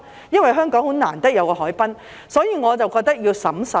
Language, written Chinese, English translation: Cantonese, 因為香港很難得有一個海濱，所以我覺得要審慎。, I hence think that we have to be cautious since the harbourfront is something very rare in Hong Kong